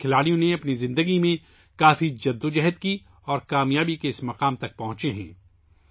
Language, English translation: Urdu, These players have struggled a lot in their lives to reach this stage of success